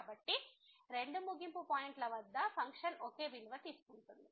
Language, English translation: Telugu, So, the two end points the function is taking same value